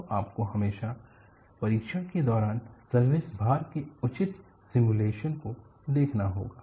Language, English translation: Hindi, So, you will always have to look at proper simulation of service loads during testing